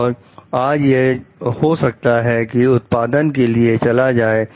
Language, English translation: Hindi, And like today it is going to go for production